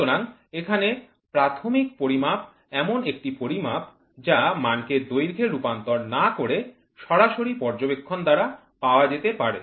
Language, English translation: Bengali, So here, primary measurement is one that can be made by direct observation without involving any conversion of measured quantity into length